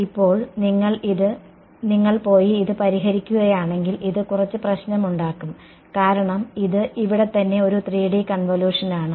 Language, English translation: Malayalam, Now, if you were to go and solve this as it is, its going to be little problematic because this is a 3D convolution over here right